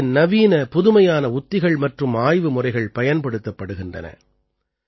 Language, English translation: Tamil, Latest Modern Techniques and Research Methods are used in this